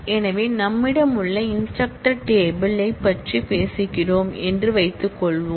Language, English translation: Tamil, So, let us suppose that we are talking about the instructor table we have the instructor table